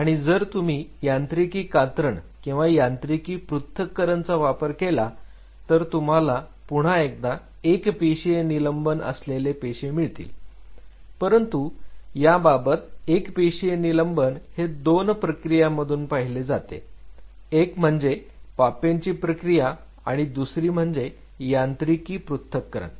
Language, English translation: Marathi, If you do offer a mechanical shearing or mechanical dissociation what you obtain is again the same thing what we talked about here a single cell suspension, but the single cell suspension in this case goes through 2 processes you first did a papain processing followed by a mechanical dissociation